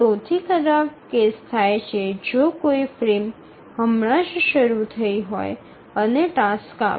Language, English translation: Gujarati, So the worst case occurs if a frame has just started and the task arrives